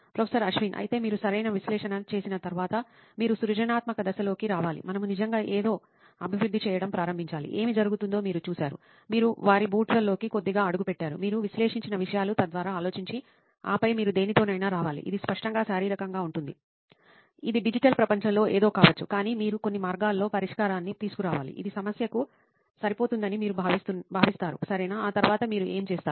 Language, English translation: Telugu, But anyway after you sort of analyse right, you’ve got to get into a creative phase, we have to actually then start developing something, you have seen what happens, you have stepped into their shoes a little bit, you have thought through things you have analyse and then you have to come up with something, it can be tangible, physical, it can be something in the digital world, but you got to come up with in some ways solution which you think might fit the problem right, what do you think you do after that